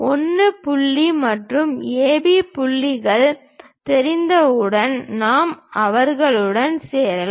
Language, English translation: Tamil, Once we know 1 point and AB points are known we can join them